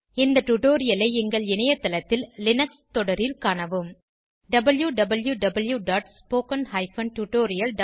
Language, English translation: Tamil, Please follow this tutorial in the Linux series on our website www.spoken tutorial.org